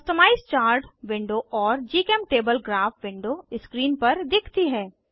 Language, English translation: Hindi, Customize Chart window and GChemTable Graph window appear on the screen